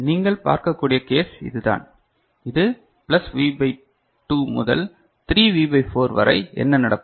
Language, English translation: Tamil, So, this is the case that you can see, when it is in this range plus V by 2 to 3V by 4 then what happens